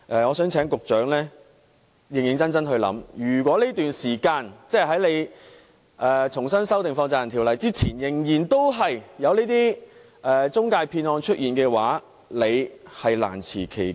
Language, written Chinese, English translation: Cantonese, 我希望局長認真考慮，如果當局重新修訂《條例》之前，仍然出現財務中介騙案的話，局長是難辭其咎。, I hope the Secretary can do some serious consideration . Should fraud cases involving financial intermediaries continue to occur before the Ordinance is amended afresh the Secretary can hardly shirk his responsibility